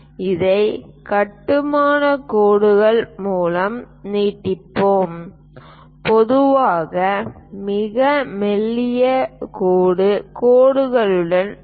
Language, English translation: Tamil, Let us extend this one by construction lines, we usually we go with very thin dashed lines